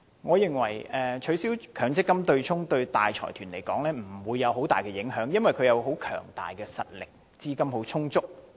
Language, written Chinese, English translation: Cantonese, 我認為取消強積金對沖機制對大財團來說不會造成很大的影響，因為他們實力強大，資金充裕。, I think abolishing the MPF offsetting mechanism will not exert too much of an impact on big corporations as they hoards tremendous strengths and abundant capital